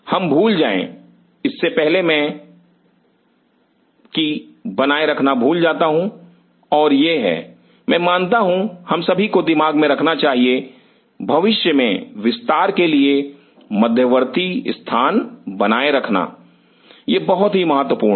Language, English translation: Hindi, I am just before we forget and I forget maintaining and this is I believe each one of us should you know keep in mind, maintaining buffer space for future expansion this is very critical